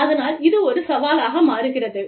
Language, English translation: Tamil, So, that becomes a challenge